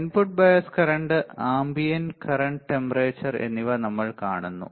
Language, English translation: Malayalam, So, this is your input bias current input bias current